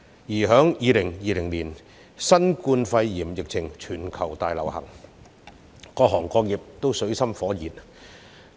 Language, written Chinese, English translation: Cantonese, 其後，於2020年，新冠肺炎侵襲全球，各行各業均處於水深火熱中。, Subsequently the whole world was hit by the COVID - 19 pandemic in 2020 where all sectors of the economy were left in dire straits